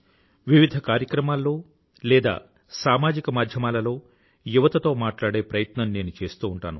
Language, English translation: Telugu, My effort is to have a continuous dialogue with the youth in various programmes or through social media